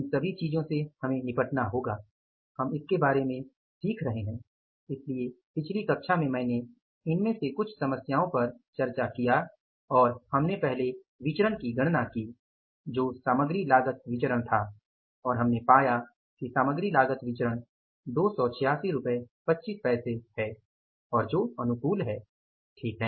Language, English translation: Hindi, So, in the last class I discussed some of these problems and we calculated first variance that was the material cost variance and we found that material cost variance is the 286